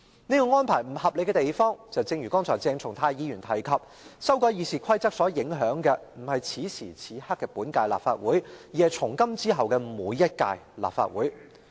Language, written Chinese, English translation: Cantonese, 這項安排不合理之處，正如鄭松泰議員剛才提及，修改《議事規則》不僅影響本屆立法會，也影響從今以後每一屆立法會。, The irrationality of this arrangement is that as Dr CHENG Chung - tai said just now this amendment of RoP impacts not only on the current Legislative Council but also each and every Legislative Council in the future